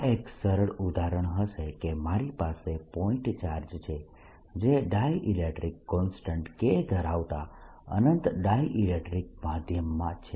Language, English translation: Gujarati, a simplest example would be: i have a point charge which is an infinite dielectric medium of dielectric constant